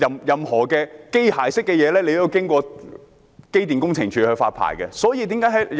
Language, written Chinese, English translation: Cantonese, 任何機械式的設備，都是要經過機電工程署發牌的。, Application for licence from EMSD is required for any mechanical device